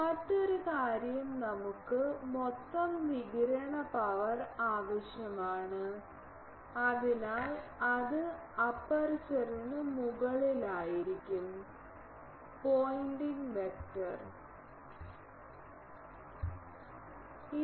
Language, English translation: Malayalam, Another thing we need the total radiated power P r so, for that will be over the aperture, the pointing vector into dA